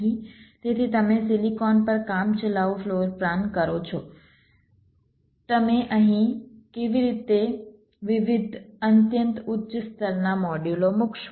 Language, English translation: Gujarati, so you do a tentative floor plan on the silicon, how you will be placing the different very high level modules here